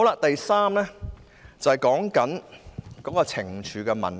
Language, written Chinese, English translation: Cantonese, 第三方面是懲處的問題。, The third issue is the imposition of penalties